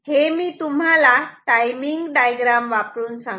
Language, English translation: Marathi, So, I told you the story with timing diagram ok